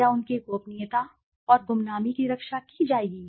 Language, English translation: Hindi, Whether their confidentiality and anonymity will be protected